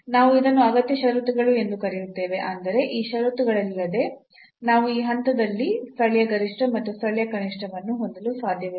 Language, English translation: Kannada, So, this is what we are calling necessary conditions; that means, without these conditions we cannot have the local maximum and local minimum at this point